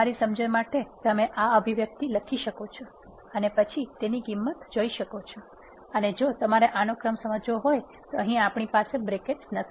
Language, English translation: Gujarati, For your understanding you can type in this expression and then see what is the value of a would be if you want to understand the order of precedence first we do not have any brackets in here